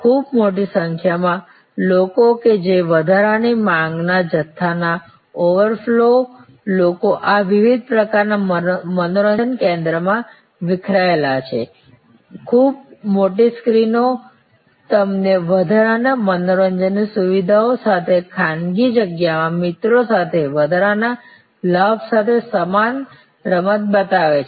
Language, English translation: Gujarati, Very large number of people that over flow in a big hump of extra demand people are diffused across these various kinds of entertainment centers very large screens show you the same game with an added advantage of along with friends in sort of private space with additional entertainment facilities like food, beverages, etc